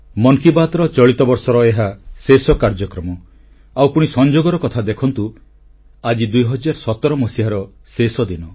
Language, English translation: Odia, This is the last edition of 'Mann Ki Baat' this year and it's a coincidence that this day happens to be the last day of the year of 2017